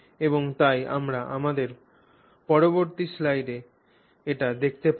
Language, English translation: Bengali, And so therefore we will see that in our next slide